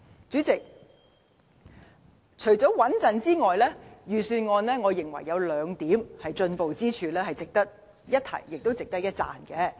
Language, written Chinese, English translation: Cantonese, 主席，除了平穩，預算案亦有兩個進步之處，值得一提，也值得一讚。, President on top of the prudence I believe the Budget has made two advanced steps which are worth our acknowledgement and praise